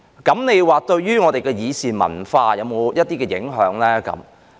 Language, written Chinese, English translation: Cantonese, 這樣對於我們的議事文化會否有影響？, Will this have an impact on our deliberative culture?